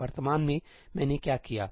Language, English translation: Hindi, Currently, what have I done